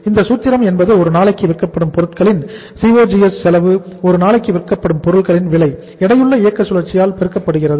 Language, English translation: Tamil, Formula is that is COGS cost of goods sold per day, cost of goods sold per day multiplied by we have to have something here that is multiplied by the weighted operating cycle WOC weighted operating cycle